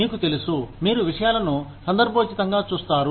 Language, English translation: Telugu, You know, you look at things, contextually